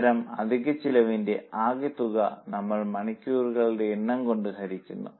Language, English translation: Malayalam, We take the total for that type of overhead divided by number of hours